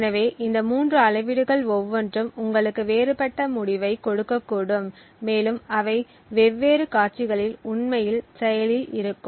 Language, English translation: Tamil, So, each of these three metrics could potentially give you a different result and would become actually active in different scenarios